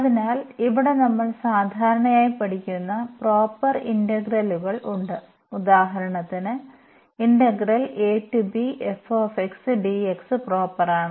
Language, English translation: Malayalam, So, here there are proper integrals which we usually studies so, those integrals